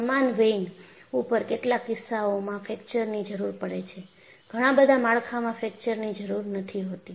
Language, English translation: Gujarati, On similar vein,fracture is needed in some cases; fracture is not needed in many of the structures